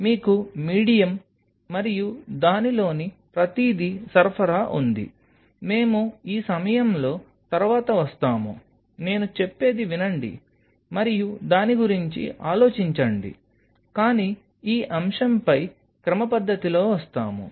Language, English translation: Telugu, So, you have supply of medium and everything within it, we will come later at this point just listen to me and think over it, but will come systematically on this topic